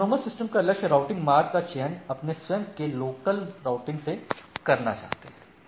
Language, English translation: Hindi, So, goal is autonomous systems want to choose their own local routing